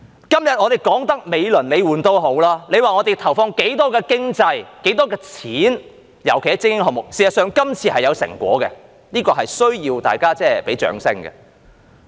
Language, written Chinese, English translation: Cantonese, 今天他們說得美輪美奐也好，說投放了多少錢，尤其是在精英項目上，而事實上，這次是有成果的，這是需要大家給予掌聲的。, Today they talk beautifully about how much money has been invested especially in elite sports . In fact results have been achieved this time which needs to be applauded